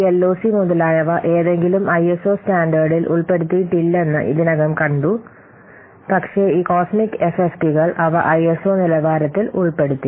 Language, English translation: Malayalam, , they are not included, incorporated in any ISO standard, but this cosmic FF they have been incorporated into ISO standard